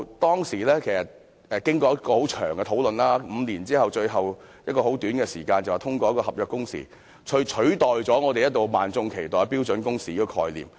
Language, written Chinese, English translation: Cantonese, 當時經過很長時間的討論，最後在很短時間內便通過合約工時，取代萬眾一直期待的標準工時概念。, There had been discussions for a long time and in the end the contractual working hours were approved in a short span of time to replace the concept of standard working hours long awaited by the public